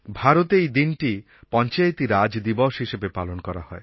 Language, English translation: Bengali, This is observed as Panchayati Raj Day in India